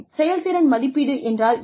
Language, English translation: Tamil, What is performance appraisal